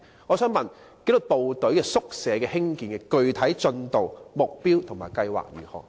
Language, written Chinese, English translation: Cantonese, 我想問，興建紀律部隊宿舍的具體進度、目標和計劃為何？, I would like to know the specific progress target and plans concerning the construction of quarters for the disciplined services